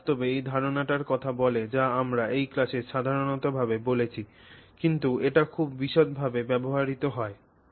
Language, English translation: Bengali, They talk of, in fact essentially this idea that we have spoken about in general terms in this class is used in great detail in this work